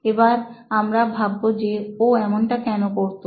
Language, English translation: Bengali, Now let us wonder why he was able to do this